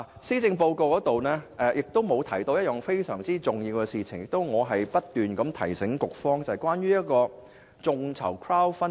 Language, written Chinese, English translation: Cantonese, 施政報告沒有提及一項十分重要的事項，那就是我不斷提醒局方處理的眾籌政策。, The Policy Address has missed out a very important issue ie . the crowdfunding policy that I have kept urging the Bureau to deal with it